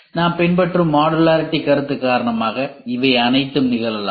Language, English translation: Tamil, This all can happen because of the modularity concept which we follow